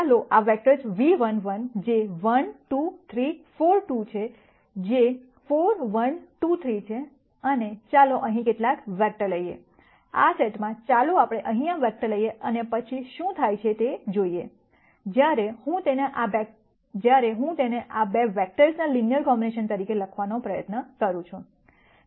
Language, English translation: Gujarati, Let us take this vectors v 1 which is 1 2 3 4 v 2 which is 4 1 2 3 and let us take some vector here, in this set let us take this vector here, and then see what happens, when I try to write it as a linear combination of these 2 vectors